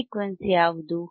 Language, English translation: Kannada, What is this frequency